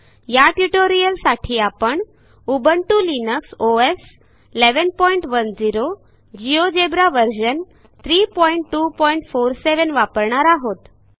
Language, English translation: Marathi, To record this tutorial, I am using Ubuntu Linux OS Version 11.10, Geogebra Version 3.2.47.0